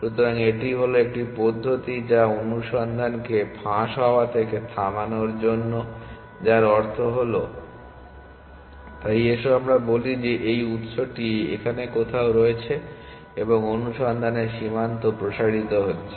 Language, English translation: Bengali, So, this is 1 mechanism for stopping the search from leaking back which means that, so let us say this source is somewhere here and search frontier expanding